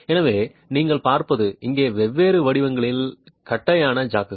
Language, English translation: Tamil, So, what you see are the flat jacks here of different shapes